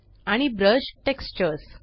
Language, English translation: Marathi, And Brush Textures